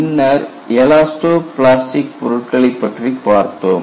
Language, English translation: Tamil, Then, we looked at, what is an elasto plastic material behavior